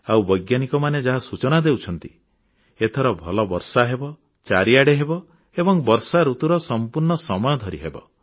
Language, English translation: Odia, Going by the predictions of the scientists, this time there should be good rainfall, far and wide and throughout the rainy season